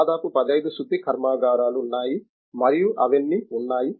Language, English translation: Telugu, Nearly 15 refineries are there and all those things